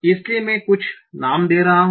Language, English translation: Hindi, So I'm giving these some names